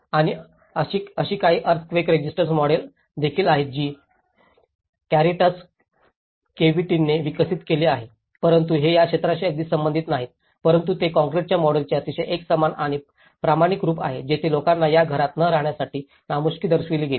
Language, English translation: Marathi, And there is also some earthquake resistant models which were developed by Caritas KVT but these are very not even relevant to this area but they are very uniform and standardized forms of the concrete models where people showed their reluctance in not to stay in these houses